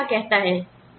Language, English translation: Hindi, What does the law say